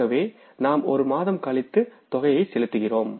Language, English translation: Tamil, So that way one month after we are making the payments